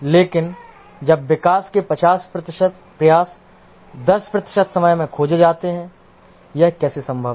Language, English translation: Hindi, But then 50% of the development effort is spent in 10% of the time